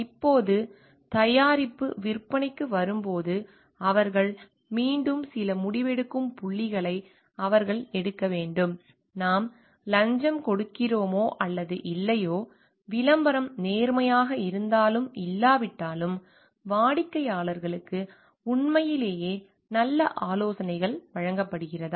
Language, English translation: Tamil, Now, when it comes to the sale of the product, they again certain decisional points that they need to take like, do we pay bribe yes or no, whether the advertisement is honest or not, where the customers are given really good advices